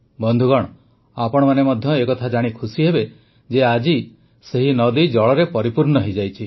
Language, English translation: Odia, Friends, you too would be glad to know that today, the river is brimming with water